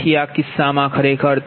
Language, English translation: Gujarati, so this is actually your